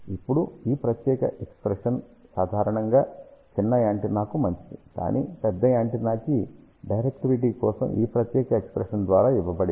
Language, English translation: Telugu, Now, this particular expression is good generally for small antenna; but for larger antenna directivity is given by this particular expression here